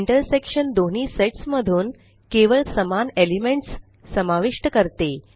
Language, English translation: Marathi, The intersection includes only the common elements from both the sets